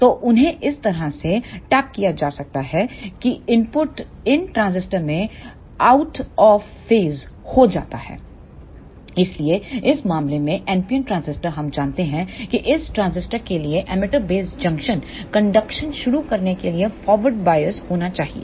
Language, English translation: Hindi, So, they are tapped in such a way that the input to these transistors are out of phase, So, in this case the NPN transistor we know that the emitter base junction for this transistor should be forward biased in order to start the conduction